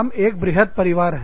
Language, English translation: Hindi, We are one big family